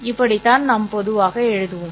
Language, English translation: Tamil, This is how we normally write down